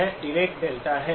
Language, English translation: Hindi, This is the Dirac delta